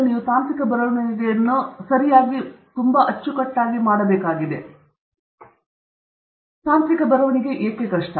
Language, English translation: Kannada, So now, having understood why you need to do technical writing, we immediately, I think, should address this point as to why it is difficult